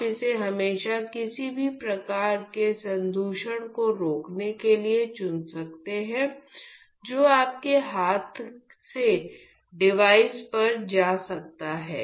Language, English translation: Hindi, So, you could always choose this just to prevent any sort of contamination that can go from you know the hand your hands to the device